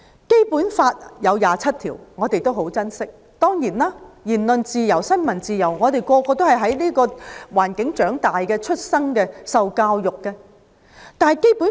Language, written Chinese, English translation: Cantonese, 《基本法》第二十七條，我們都很珍惜，我們每個人都是在言論自由和新聞自由的環境下出生、長大和受教育的。, We greatly treasure Article 27 of the Basic Law . Every one of us was born raised and educated in an environment with freedom of speech and freedom of the press